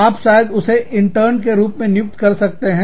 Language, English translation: Hindi, Maybe, you take the person on, as an intern